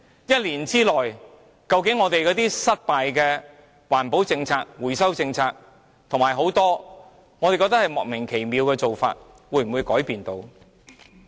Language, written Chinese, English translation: Cantonese, 一年之內，我們失敗的環保政策、回收政策，以及很多我們覺得莫名其妙的做法，會否改變呢？, This depends on whether the failed environmental protection and recycling policies as well as some perplexing polices could be improved in one - year time